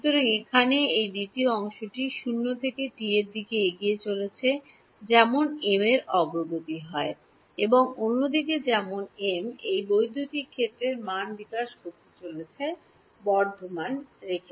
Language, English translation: Bengali, So, this second part over here is moving from 0 to t as m is progressing and on the other hand as m is progressing this electric field value see tau keeps increasing